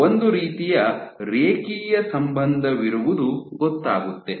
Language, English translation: Kannada, There was kind of a linear correlation